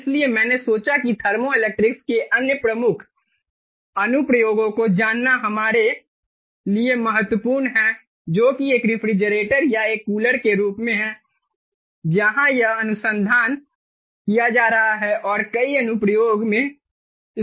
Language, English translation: Hindi, so i thought it was is important for us to know the very the other prominent application of thermoelectrics, which is as a refrigerator or as a cooler, where it is being research and being also used in in several applications